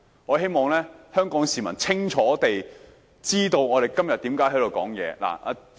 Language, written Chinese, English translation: Cantonese, 我希望香港市民清楚知道我們今天發言的原因。, I hope Hong Kong people will clearly appreciate the reason for us making our speeches today